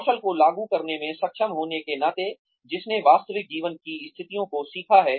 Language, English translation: Hindi, Being able to apply the skills, that one has learnt to real life situations